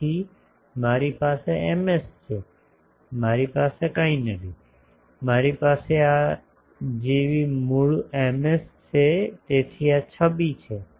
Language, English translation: Gujarati, So, I have Ms I do not have anything; I have the original Ms like this so this is the image